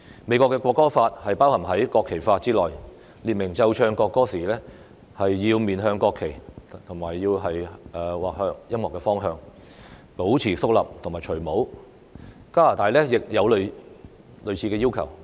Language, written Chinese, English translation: Cantonese, 美國的國歌法包含在國旗法之內，列明奏唱國歌時要面向國旗或音樂的方向，保持肅立及除下帽子；加拿大亦有類似的要求。, In the United States the law on the national anthem is included in the United States Flag Code which stipulates that all persons present should face the national flag or toward the music stand at attention and remove their headdress during a rendition of the national anthem . Similar requirements also exist in Canada